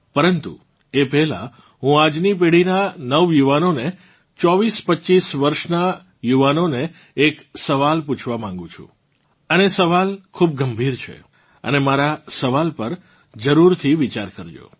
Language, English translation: Gujarati, But, before that I want to ask a question to the youth of today's generation, to the youth in the age group of 2425 years, and the question is very serious… do ponder my question over